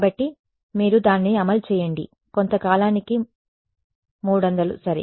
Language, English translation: Telugu, So, yeah whatever then you run it for some time 300 ok